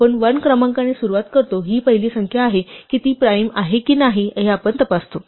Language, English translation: Marathi, We start with the number 1, this is the first number we check whether it is a prime or not, and initially the list of primes is empty